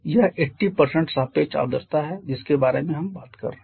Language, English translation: Hindi, Now how much is the amount of H2O that is 80% relative humidity’s we are talking about